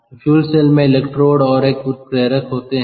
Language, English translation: Hindi, so fuel cell consists of electrodes and a catalyst